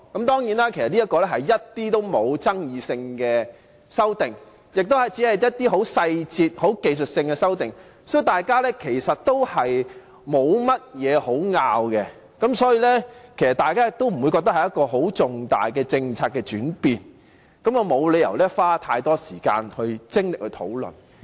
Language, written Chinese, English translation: Cantonese, 當然，相關的修訂其實一點爭議也沒有，亦只屬一些細節和技術性的修訂，大家其實沒有甚麼可以爭拗，也不會覺得是很重大的政策轉變，沒有理由花太多時間和精力來討論。, Certainly there was actually not the slightest controversy over these amendments which are only some details and technical in nature and so there is actually nothing for Members to argue over; nor are these amendments considered major policy changes . Hence there is no reason to spend so much time and effort discussing them